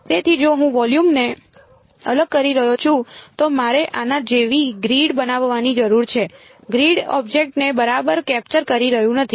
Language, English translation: Gujarati, So, if I am discretising the volume I need to sort of use a make a grid like this; The grid is not going to be exactly capturing the object ok